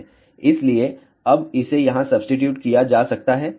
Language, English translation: Hindi, So, that can be now substituted over here